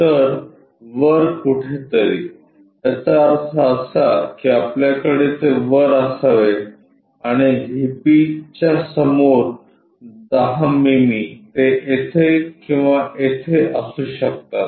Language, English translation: Marathi, So, somewhere on above; that means, top of that we should have and 10 mm in front of PP it can be here or there